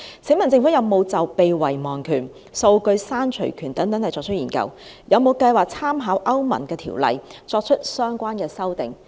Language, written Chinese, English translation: Cantonese, 請問政府有否就被遺忘權、數據刪除權等進行研究，有沒有計劃參考歐盟的條例而作出相關修訂？, May I ask the Government whether it has conducted any study on the right to be forgotten and the right to erasure and whether it has planned to draw reference from the EU legislation and make relevant amendments?